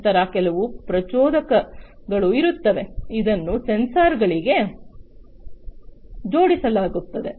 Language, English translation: Kannada, Then there would be some impellers, which would be attached to the sensors